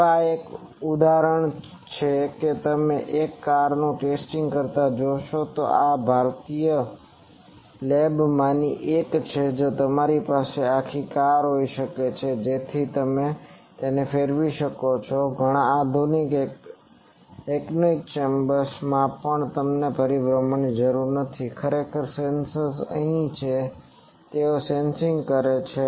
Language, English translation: Gujarati, Now, this is an example you see a car getting tested, this is a in a one of the Indian labs you can have these that whole car so it can rotate also and also in many modern anechoic chambers you do not needed a rotation, actually the sensors are here throughout and they are sensing